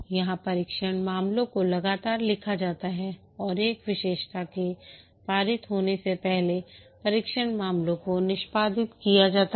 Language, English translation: Hindi, Here the test cases are written continually and the test cases are executed before a feature is passed